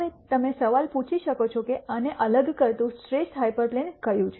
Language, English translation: Gujarati, Now, you could ask the question as to which is the best hyperplane that separates this